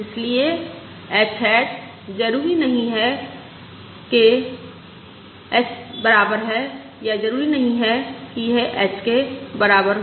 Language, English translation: Hindi, Therefore, h hat is not necessarily equal to, infact, it is not necessarily equal to h